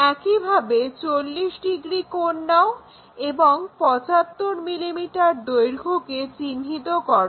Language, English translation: Bengali, Similarly, pick 40 degree angle and locate this 75 mm length